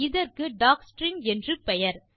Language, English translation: Tamil, Learn about docstrings